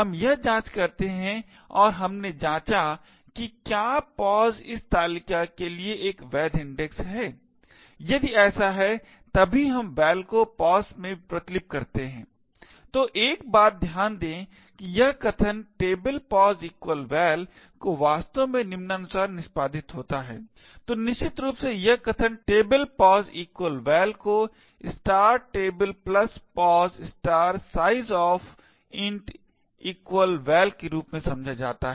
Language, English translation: Hindi, We do this check and we checked whether pos is a valid index for this table, if so only then we copy val into pos, so one thing to note is that this statement table of pos equal to val is actually executed as follows, so essentially this statement table[pos] = val is interpreted as *(table + pos * sizeof) = val